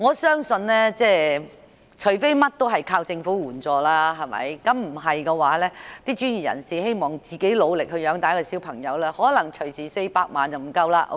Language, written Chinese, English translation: Cantonese, 相信除非事事倚靠政府援助，否則一名專業人士想單靠自己努力養育一名孩子成人 ，400 萬元並不足夠。, In my opinion 4 million will definitely not be enough for a professional to raise a child to adulthood with hisher own efforts unless he or she relies on government assistance in every aspect